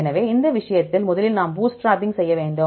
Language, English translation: Tamil, So, in this case first we have to do the bootstrapping